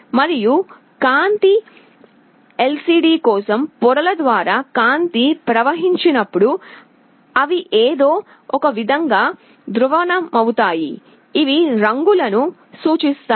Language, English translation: Telugu, And light is projected, when light flows through the layers for a color LCD, they are polarized in some way, which represent colors